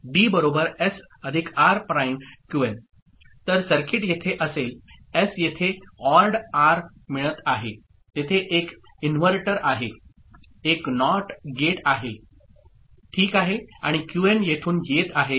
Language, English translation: Marathi, So, the circuit will be here, S goes here with it is getting ORed R there is an inverter, a NOT gate ok, and Qn is coming from here all right